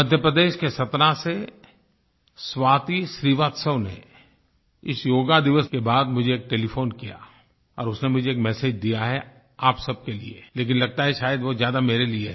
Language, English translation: Hindi, Swati Srivastava from Satna in Madhya Pradesh, called me up on telephone after the Yoga Day and left a message for all of you but it seems that it pertains more to me